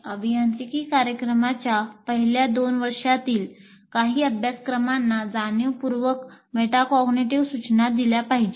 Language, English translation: Marathi, A few courses in the first two years of engineering program should be targeted for a deliberate metacognitive instruction